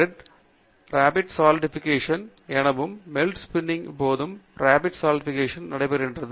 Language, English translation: Tamil, A very often Melt Spinning is also referred to as Rapid Solidification, because during Melt Spinning, Rapid Solidification phenomenon takes place